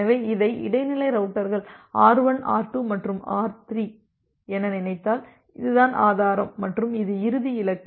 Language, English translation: Tamil, So, if you think about this as the intermediate routers R1, R2 and R3 and this is the source and this is the final destination